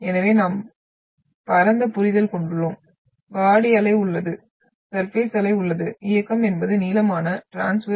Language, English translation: Tamil, So we are having in broader sense, we have body wave, we have surface wave, motion is longitudinal transverse